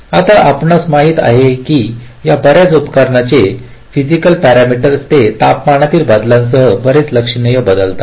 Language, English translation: Marathi, now you know that the physical parameters of this most devices they very quit significantly with changes in temperature